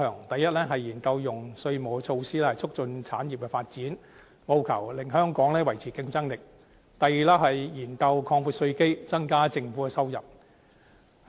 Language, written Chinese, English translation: Cantonese, 第一，研究用稅務措施，促進產業發展，務求令香港維持競爭力；第二，研究擴闊稅基，增加政府的收入。, Firstly it will study ways to foster the development of industries through tax measures so as to ensure that Hong Kong remains competitive . Secondly it will explore broadening the tax base so as to increase government revenue